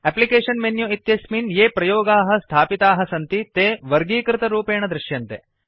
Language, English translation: Sanskrit, The Applications menu contains all the installed applications in a categorized manner